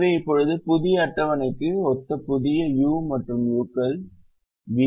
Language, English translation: Tamil, so now we have a new set of u's and v's which correspond to the new table